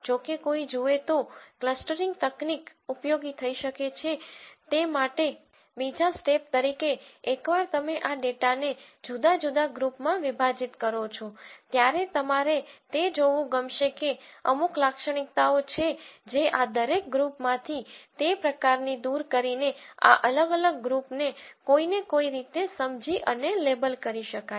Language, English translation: Gujarati, However, for a clustering technique to be useful, once you partition this data into different groups as a second step, one would like to look at whether there are certain characteristics that kind of pop out from each of this group to understand and label these individual groups in some way or the other